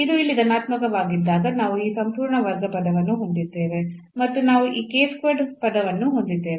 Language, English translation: Kannada, So, in this case what will happen, when this is positive here then we have this whole square term and we have this k square term